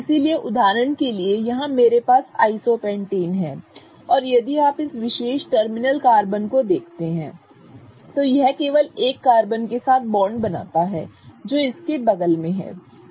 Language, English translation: Hindi, So, for example, here I have isopentane and if you look at this particular terminal carbon, it is forming bonds with only one carbon that is next to it